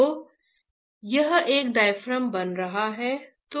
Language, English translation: Hindi, So, it is becomes a diaphragm, right